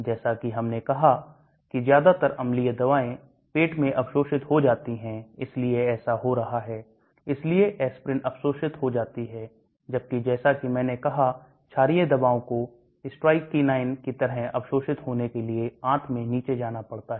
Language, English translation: Hindi, As we have said most acidic drugs are absorbed in the stomach so that is what happening, so aspirin gets absorbed in the stomach whereas as I said basic drugs have to go down into the intestine to get absorbed like this strychnine